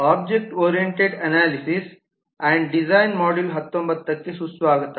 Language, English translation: Kannada, welcome to module 19 of object oriented analysis and design